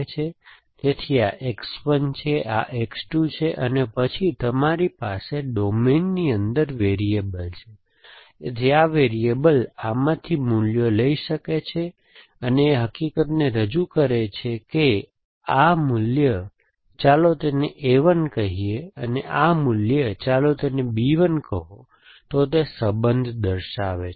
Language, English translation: Gujarati, So, this is X 1, this is X 2 and then you have variables inside is domains, so these are the values that this variable can take and edge represents the fact